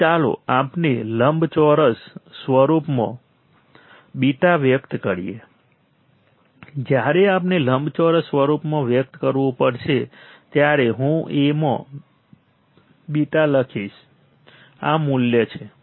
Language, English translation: Gujarati, So, let us express A beta in rectangular form when we have to express in rectangular form I will write A into beta is this value